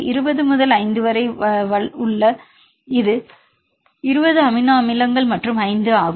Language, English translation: Tamil, 20 into 5 right because this is a 20 amino acids and 5